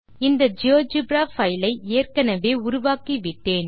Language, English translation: Tamil, I have already created this geogebra file